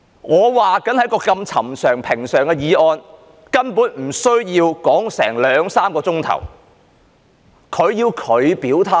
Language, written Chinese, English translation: Cantonese, 我說就一項這麼尋常、平常的議案，根本不需要辯論兩三小時，但他要作出表態。, I said that we basically did not need to spend two to three hours debating such an ordinary and common motion but he has to express his stance